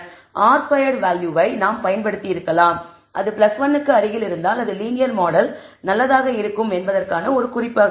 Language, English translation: Tamil, We could have used r squared value we said that if it is close to plus 1 then we should that is one indicator that the linear model maybe good